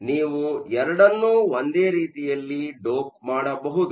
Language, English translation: Kannada, So, you can dope both of them in a similar fashion